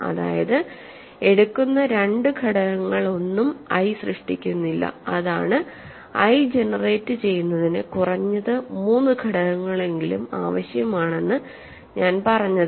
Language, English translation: Malayalam, So, that you take there are no 2 elements in I that generate I that is what I mean you need at least three elements to generate I